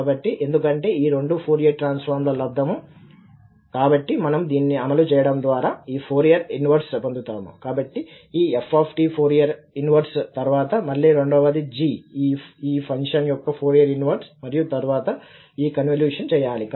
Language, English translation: Telugu, So, because this is the product of two Fourier transforms, so we can apply this and we will get the Fourier inverse of this, so the f is the Fourier inverse of this and then again the second one g is the Fourier inverse of this function and then this convolution has to be done